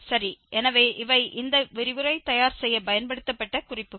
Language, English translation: Tamil, Well, so, these are the references used for preparing this lecture